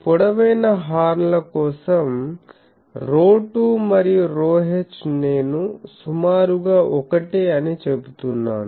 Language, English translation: Telugu, For long horns rho 2 and rho h this I am approximately saying same